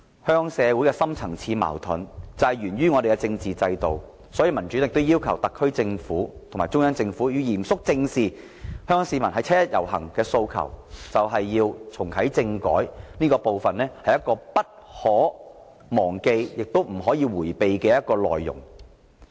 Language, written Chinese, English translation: Cantonese, 香港社會的深層次矛盾源於我們的政治制度，所以民主黨要求特區政府和中央政府要嚴肅正視香港市民於七一遊行的訴求，就是要重啟政改，這是不可忘記亦不能迴避的內容。, As deep - rooted conflicts of Hong Kong society stem from our political system the Democratic Party requests the SAR Government and the Central Government to seriously face up to the aspirations of the people participating in the 1 July march and reactivate constitutional reform which is an issue that should not be forgotten and evaded